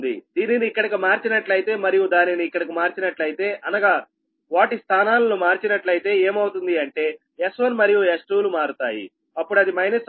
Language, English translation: Telugu, if you, if you make it here, right, i mean if you interchange the position, then what we will happen that s one, s two interchange that, what we will happen, that it will, it will, it will minus